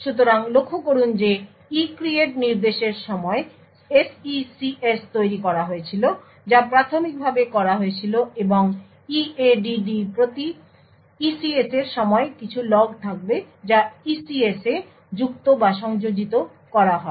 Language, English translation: Bengali, So, note that the SECS was created during the ECREATE instruction which was done initially and during the EADD per ECS there will some log which gets appended or added in the ECS